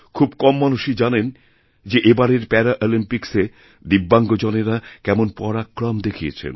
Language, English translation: Bengali, Only very few people might be knowing as to what stupendous feats were performed by these DIVYANG people in the Paralympics this time